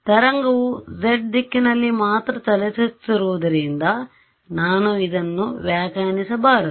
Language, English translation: Kannada, I should you should not interpret this as the wave is travelling only along the z direction